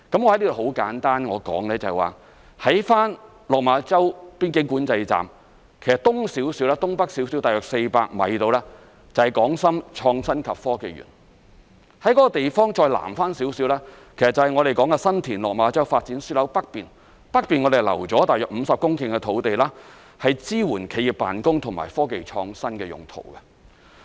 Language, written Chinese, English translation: Cantonese, 我在此簡單說說，在落馬洲邊境管制站，在其東北方約400米左右，就是港深創新及科技園；而該地方南面一點，就是新田/落馬洲發展樞紐的北面，北面我們已經預留約50公頃土地支援企業辦公和科技創新用途。, I wish to give a brief explanation that the Hong Kong - Shenzhen Innovation and Technology Park is on the Northeast side of the Lok Ma Chau Control Point which is just about 400 m away from the Control Point; and further South is the Northern tip of the San TinLok Ma Chau Development Node . We have reserved 50 hectares of land on the Northern tip of the Node for offices and innovation and technology usage